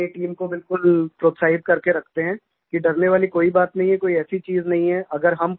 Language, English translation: Hindi, We keep our team motivated to the utmost extent that there is nothing to fear, and there is no such thing that we should fear